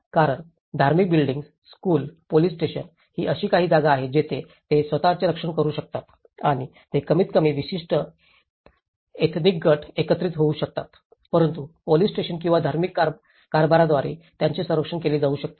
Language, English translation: Marathi, Because the religious buildings, the schools, the police stations, these are some place where they can protect themselves and they can gather at least certain ethnic group can be protected with the protection of police station or the religious governance